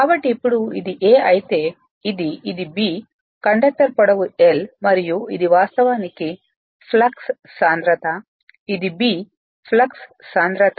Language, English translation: Telugu, So, now, if you if you now this is this is A, this is B this is that conductor length is L and this actually flux density this is B flux density